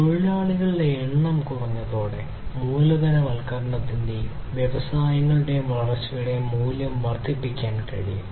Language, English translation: Malayalam, So, with reduced number of workforce, we are able to increase the number of the value of capitalization and growth of the industries